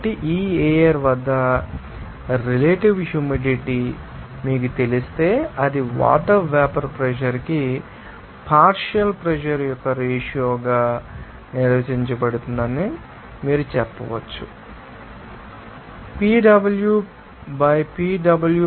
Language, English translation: Telugu, So, if you know that the relative humidity at this air then you can simply say that, since it is defined as you know ratio of partial pressure to the vapor pressure of water, then you can say that Pw by Pw of v that will be equal to 0